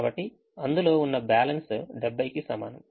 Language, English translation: Telugu, so balance available is equal to seventy